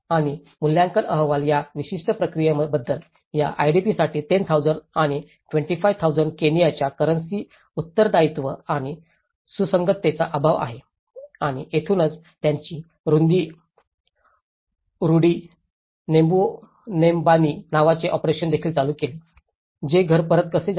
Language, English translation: Marathi, And evaluation reports talk about this particular process lacks accountability and consistency in a location of 10,000 and 25,000 Kenyan currency for these IDPs and this is where, they also started an operation called operation Rudi nyumbani, which is the how to return to home